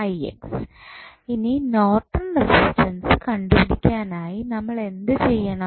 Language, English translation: Malayalam, So, next what we need to do, we need to just find out the value of Norton's resistance